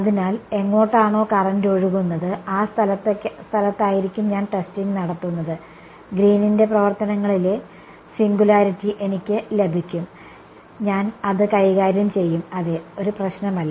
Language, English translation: Malayalam, So, I will where the current is flowing that is going to be the place where I will do testing, I will get the singularity in Green's functions I will deal with it not a problem